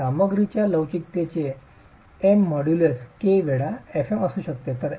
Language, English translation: Marathi, M, the modulus of the material could be k times fM